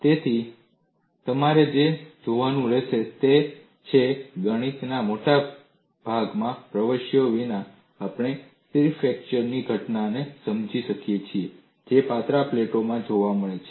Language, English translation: Gujarati, So, what you will have to look at is, without getting into much of mathematics, we have been able to explain the phenomena of stable fracture that is seen in thin plates